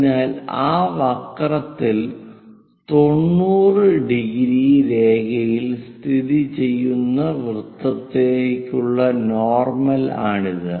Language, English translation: Malayalam, So, this is the normal to that circle locate a 90 degrees line on that curve that will be here